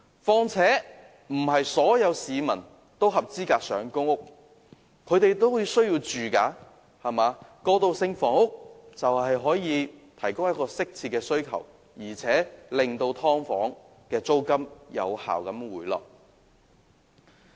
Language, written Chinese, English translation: Cantonese, 況且，不是所有市民都符合資格申請公屋，他們也有住屋需求，而提供過渡性房屋正正可以適切地回應他們的需求，並且有效地令"劏房"的租金回落。, Moreover while not everyone is eligible to apply for PRH they all have housing need and the provision of transitional housing can rightly meet their demand . It is also an effective way to curb the rise of the rent of subdivided units